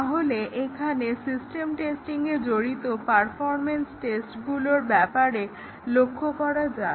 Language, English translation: Bengali, Let us look here about the system test, about the performance tests involved in system testing